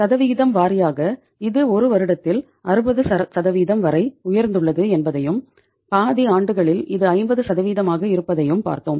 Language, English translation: Tamil, And percentage wise also we have seen that it is in in one year it had gone up to 60% also and in half of the years it is 50% though it is coming down over the years